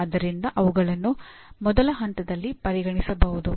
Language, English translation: Kannada, So they can be considered at first level